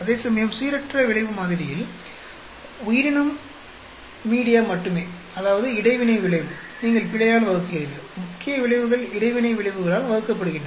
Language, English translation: Tamil, Whereas in the random effect model only the organism media, that is interaction effect, you divide by error, where as the main effects are divided by the interaction effect